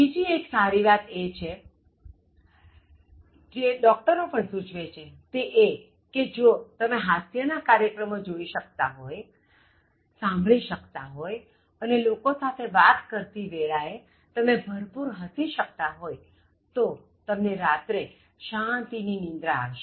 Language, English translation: Gujarati, The other good thing that even doctors suggest is, if you are able to watch some kind of comic program or listen to something or even talk to people and then if you can laugh wholeheartedly before you sleep, so you get a very peaceful sleep